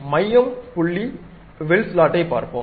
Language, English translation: Tamil, Now, we will look at other one center point arc slot